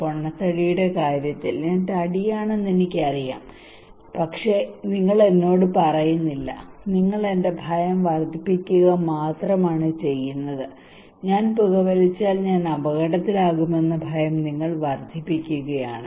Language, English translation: Malayalam, In case of obesity that I know that I am fatty, but you are not telling me you are only increasing my fear, you are only increasing my fear that if I smoke I will be at danger